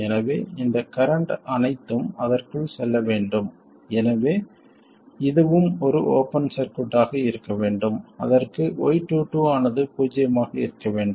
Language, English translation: Tamil, So, you want all of this current to go into that one, so this should also be an open circuit that is y2 must be 0